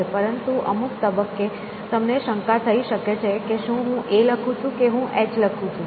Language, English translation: Gujarati, But at some point, you may start getting a doubt about whether I am writing an A or whether I am writing an H